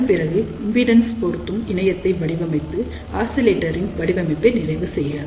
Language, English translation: Tamil, And after that design impedance matching network to complete a oscillator design